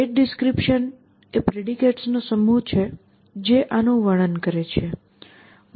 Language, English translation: Gujarati, The state description is the set of predicates which is describing this thing essentially